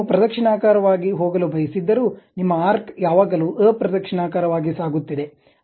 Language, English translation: Kannada, Though you would like to go in the clockwise, but your arc always be taking in the counterclockwise direction